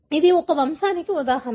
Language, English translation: Telugu, That is an example